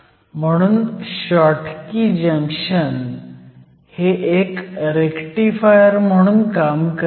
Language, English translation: Marathi, So, a Schottky Junction will act as a Rectifier